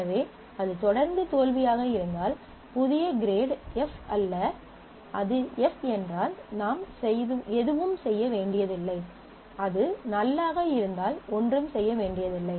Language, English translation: Tamil, So, if it was failure, and if it continues to be failure, new grade is not f; if it is f then you do not have to do anything; if it is null it do not have to do anything